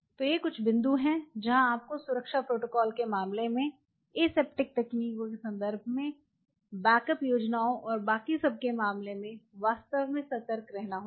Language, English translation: Hindi, So, these are some of the points what you have to be really cautious in terms of safety protocols, in terms of aseptic techniques, in terms of backup plans and everything